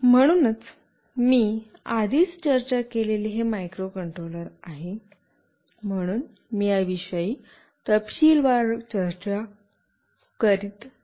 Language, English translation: Marathi, So, this is the microcontroller I have already discussed, so I am not discussing in detail about this